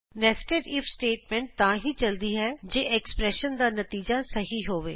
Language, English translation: Punjabi, Netsed if statement is run, only if the result of the expression is true